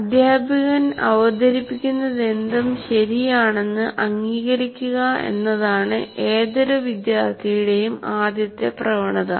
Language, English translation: Malayalam, The first tendency of any student is whatever is presented by the teacher is right